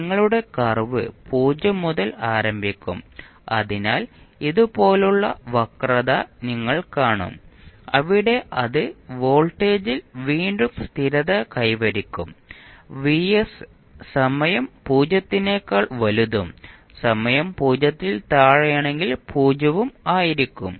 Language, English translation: Malayalam, Your curve will start from 0 so you will see the curve like this where it will settle down again at voltage vs for time t greater than 0 and for time t less than 0 it will be 0